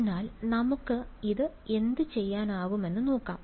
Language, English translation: Malayalam, So, let us let see what we can do with this